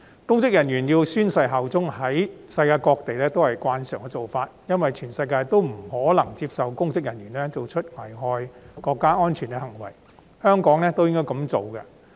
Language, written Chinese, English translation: Cantonese, 公職人員宣誓效忠是國際慣例，因為全世界也不會接受公職人員作出危害國家安全的行為，香港亦應如此。, The requirement for public officers to take an oath of allegiance is an international practice as nowhere in the world would accept public officers committing acts that endanger national security . This should also be the case for Hong Kong